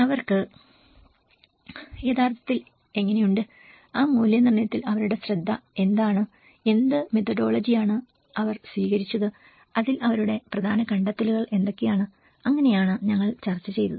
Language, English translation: Malayalam, How they have actually, what is their focus of that assessment and what methodology they have adopted and what are their key findings on it so this is how we discussed